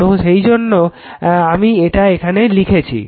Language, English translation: Bengali, So, that is why what I have written here right this is what I have written here